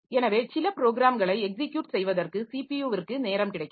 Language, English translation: Tamil, So, CPU is free to do some to execute some other program